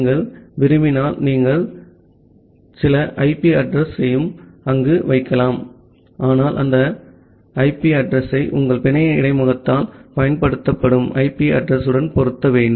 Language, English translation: Tamil, If you want you can also put some IP address there but that IP address need to be matched with the IP address used by your network interface